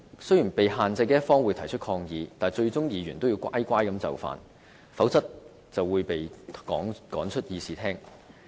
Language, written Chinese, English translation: Cantonese, 雖然被限制的一方可以提出抗議，但議員最終也會乖乖就範，否則，便會被趕出會議廳。, Although Members can dispute such decisions they have to yield to the orders finally; otherwise they will be expelled from the meeting rooms